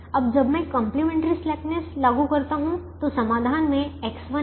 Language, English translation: Hindi, so now let us apply complimentary slackness to the, to this solution